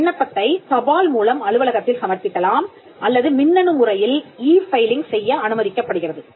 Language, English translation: Tamil, The application can be submitted to the office by post or electronically e filing is also permissible